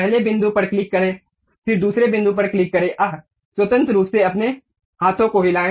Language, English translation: Hindi, Click first point, then click second point, freely move your hands